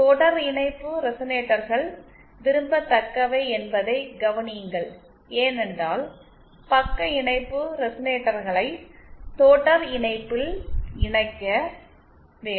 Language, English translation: Tamil, Note one thing that series resonators are the ones that are preferred because as I said shunt resonators have to be connected in series